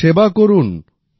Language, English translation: Bengali, Just keep serving